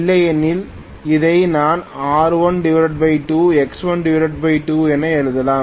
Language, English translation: Tamil, Otherwise I can write this as R1 by 2 X1 by 2